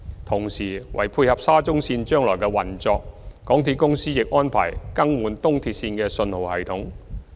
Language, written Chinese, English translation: Cantonese, 同時，為配合沙中線將來的運作，港鐵公司亦安排更換東鐵線的信號系統。, MTRCL is also replacing the signalling system of the East Rail Line to tie in with the future operation of SCL